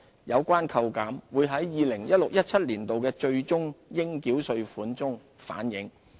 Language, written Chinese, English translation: Cantonese, 有關扣減會在 2016-2017 年度的最終應繳稅款反映。, The reduction will be reflected in the final tax payable for 2016 - 2017